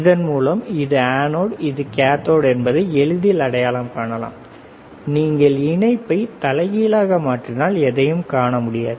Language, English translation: Tamil, So, is easy we identify that yes this is anode this is cathode, if you do reverse thing we will not be able to see anything correct